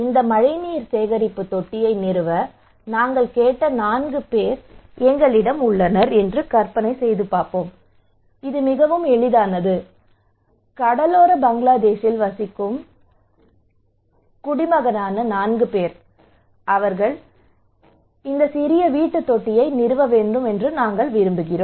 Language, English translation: Tamil, Let us imagine that we have four people whom we asked to install this rainwater harvesting tank okay it is simple, four people they are the citizen of Bangladesh in coastal Bangladesh, and we want them to install this small household tank